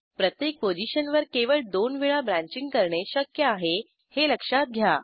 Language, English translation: Marathi, Note that branching is possible only twice at each position